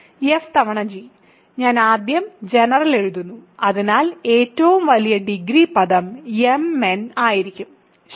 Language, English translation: Malayalam, So, f times g, I will first write the general so, the largest degree term will be mn, ok